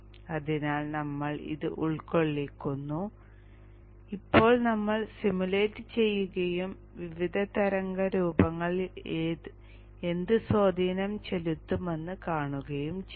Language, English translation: Malayalam, So you include this and now you simulate and see what are the effects on the various waveforms